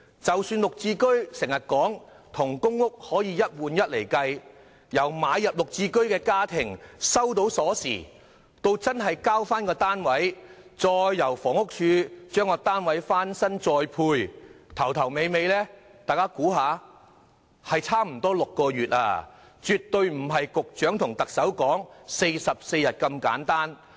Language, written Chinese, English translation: Cantonese, 雖然政府當局經常說"綠置居"與公屋可以"一換一"，但是由購入"綠置居"家庭收到鎖匙到交回公屋單位，然後房屋署須為單位進行翻新再作分配，差不多需時6個月，絕非局長和特首所說的44天。, Although the Administration often mentions the one - to - one arrangement for GSH units and PRH units it takes nearly six months for a household which has purchased a GSH unit to return its PRH unit after getting the key and for the Housing Department HD to refurbish and reallocate the recovered PRH unit . The number of days taken is definitely not 44 as mentioned by the Secretary and the Chief Executive